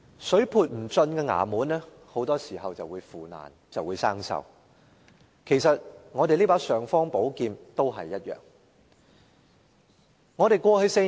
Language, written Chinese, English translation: Cantonese, 水潑不進的衙門很多時候便會腐爛和生鏽，其實立法會這柄"尚方寶劍"也一樣。, A totally impermeable department will often become a place of decay and corrosion . Actually the same goes for the imperial sword of the Legislative Council